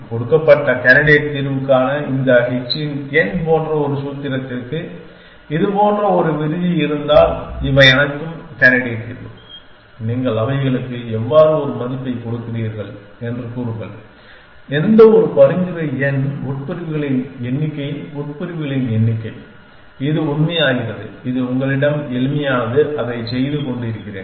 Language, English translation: Tamil, If have a clause like this for a formula like this h of n for a given candidate solution these are all candidate solution say how do you give them a value any suggestion number of clauses number of clauses it makes a true that is a simplest you have doing it